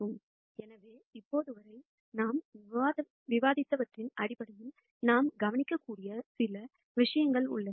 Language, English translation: Tamil, So, there are a few things that we can notice based on what we have discussed till now